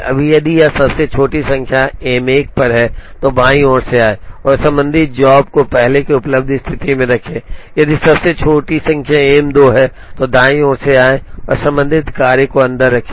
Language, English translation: Hindi, Now, if this smallest number is on M 1, then come from the left and put the corresponding job in the first available position, if the smallest number happens to be on M 2, then come from the right and put the corresponding job in the first available position